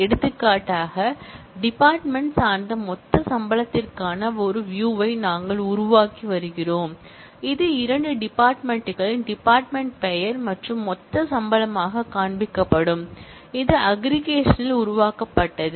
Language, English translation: Tamil, For example, we are creating a view for departmental total salary, which will show as two fields department name and total salary, which has been created by aggregation